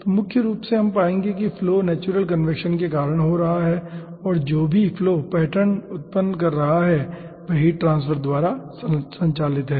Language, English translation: Hindi, flow is causing due to natural convection, and whatever flow pattern is causing there is driven by heat transfer